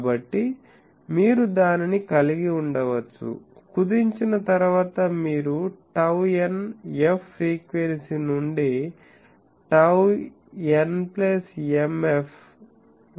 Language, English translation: Telugu, So, you can have that, as I said that after truncation you can have that from tau n f frequency to tau some other n plus m f